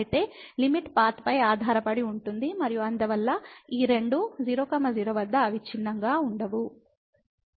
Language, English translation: Telugu, So, the limit depends on the path and hence these two are not continuous at 0 0